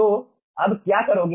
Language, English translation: Hindi, so what will be doing